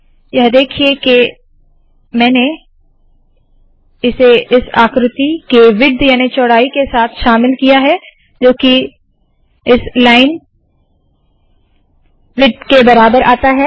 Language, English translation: Hindi, I include it here with the width of this figure coming out to be equal to that of the line width